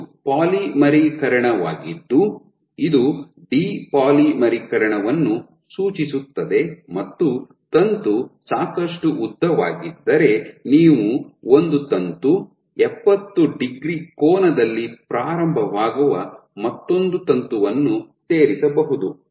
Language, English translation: Kannada, So, this is polymerization this signifies depolymerization and you can have one more situation in which let us say if the filament is let us say if your filament is long enough you can add a filament, another filament which starts at an angle